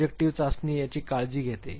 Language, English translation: Marathi, Projective test takes care of this